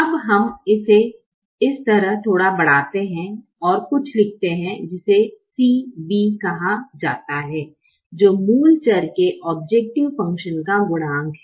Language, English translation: Hindi, now we extended a little bit on this side and write something called c b, which is the coefficient of the objective function of the basic variables